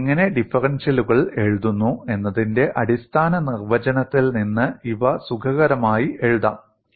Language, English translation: Malayalam, And these could be written comfortably, from the basic definition of how do you write differentials